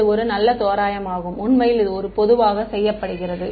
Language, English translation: Tamil, It is a good approximation, in fact it is commonly done ok